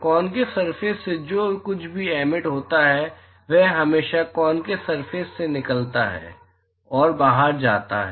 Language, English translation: Hindi, Whatever is emitted by a concave surface always leave, and go out of the concave surface